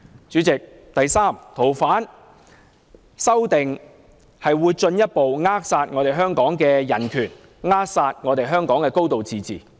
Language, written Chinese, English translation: Cantonese, 主席，第三，修訂《條例》會進一步扼殺香港的人權及"高度自治"。, President thirdly the amendments to the Ordinance will further stifle human rights and the high degree of autonomy in Hong Kong